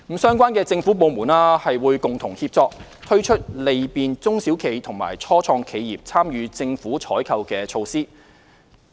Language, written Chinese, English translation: Cantonese, 相關政府部門會共同協作，推出利便中小企和初創企業參與政府採購的措施。, The relevant government departments will collaborate and introduce measures to facilitate the participation of SMEs and start - ups in government procurement